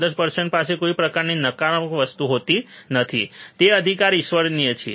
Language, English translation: Gujarati, Ideal person would not have any kind of negative things, right is a godly